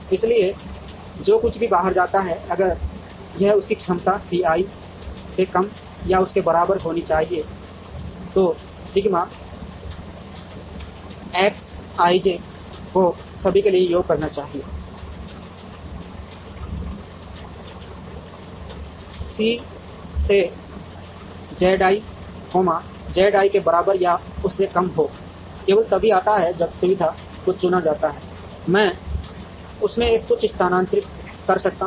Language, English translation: Hindi, So, whatever goes out, if this should be less than or equal to its capacity C i, so sigma X i j summed over all j should be less than or equal to C i into Z i, Z i comes in only, when the facility is chosen I can move something out of it